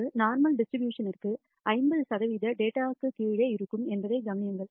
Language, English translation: Tamil, Notice that for a normal distribution, 50 percent of the data will lie below 0 and that is what this also seem to indicate